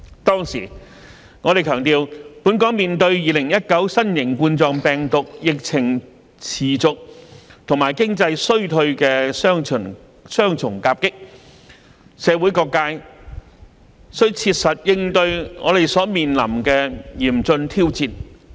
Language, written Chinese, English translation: Cantonese, 當時，我們強調，本港面對2019新型冠狀病毒疫情持續和經濟衰退的雙重夾擊，社會各界須切實應對我們所面臨的嚴峻挑戰。, We also emphasized in the letter that given the double whammy of ongoing COVID - 19 epidemic and economic recession facing Hong Kong different sectors of society should conscientiously respond to the daunting challenges in front of us